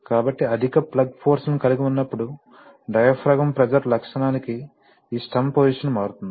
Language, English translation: Telugu, But it so happens that this stem position to diaphragm pressure characteristic will change depending on whether there is plug force or not